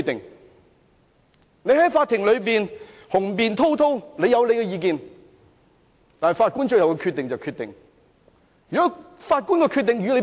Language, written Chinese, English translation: Cantonese, 他可以在法庭內雄辯滔滔發表意見，但法官的決定才是最終決定。, However eloquent he can be expressing his views in court it will be the judge who makes the final decision